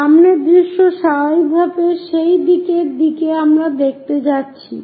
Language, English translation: Bengali, The front view naturally towards that direction we are going to look